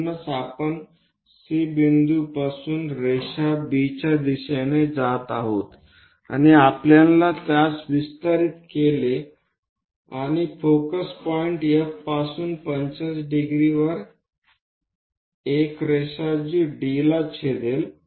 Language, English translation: Marathi, So, that a line passing from C all the way B we extended it and a line at 45 degrees from focus point F, so that is going to intersect at D